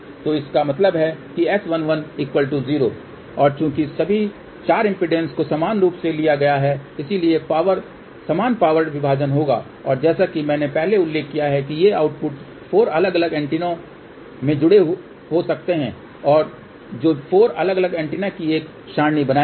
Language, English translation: Hindi, So that means S 11 will be equal to 0 and since all the 4 impedances have been taken equal, so equal power division will take place and as I mentioned earlier theseoutputs can be connected to 4 different antennas and that will form an array of 4 different antennas